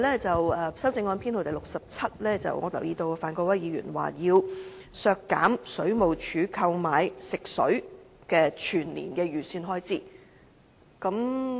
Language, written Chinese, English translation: Cantonese, 在修正案編號 67， 我留意到范國威議員提出要削減水務署購買食水的全年預算開支。, I notice that in Amendment No . 67 Mr Gary FAN proposes to cut the estimated annual expenditure for the Water Supplies Department to purchase drinking water